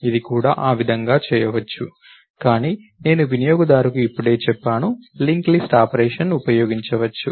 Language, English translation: Telugu, It could be done that way too, but I have just tells the user, link list operation could be used